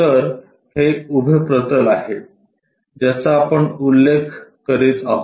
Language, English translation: Marathi, So, this is the vertical plane, what we are referring